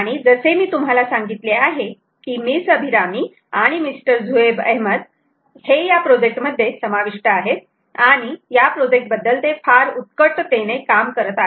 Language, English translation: Marathi, ok, and, as i mentioned to you, miss abhirami and mister zuhaib ahmed were involved in this project and are very passionate about this project